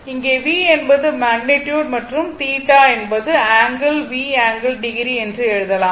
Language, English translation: Tamil, Here V is the magnitude and theta is the angle, we put we can write the V angle theta right